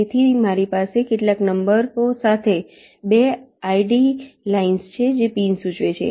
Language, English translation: Gujarati, so i have two horizontal lines with some numbers, which indicates pins